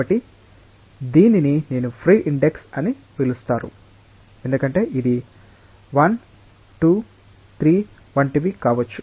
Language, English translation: Telugu, So, this i is called a free index, because it may be whatever 1, 2, 3 like that